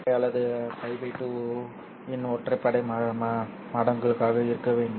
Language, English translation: Tamil, So or it must be odd multiples of pi by 2